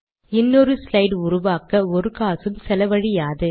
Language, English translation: Tamil, It does not cost any money to create another slide